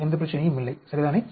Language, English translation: Tamil, No problem, right